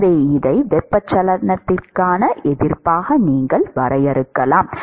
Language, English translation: Tamil, So, you can define this as resistance for convection